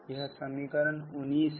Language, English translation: Hindi, this is equation number nineteen